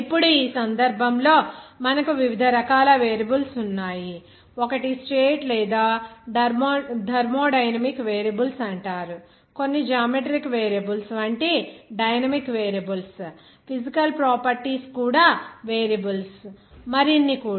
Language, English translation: Telugu, Now, in this case, we are having different types of variables, one is called state or thermodynamic variables, some are dynamic variables like geometric variables, physical properties as variables, even others also